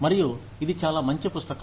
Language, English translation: Telugu, And, it is a very good book